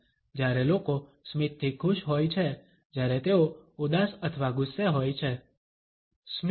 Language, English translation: Gujarati, When people are happy with smile, when they are sad or angry (Refer Time: 16:50)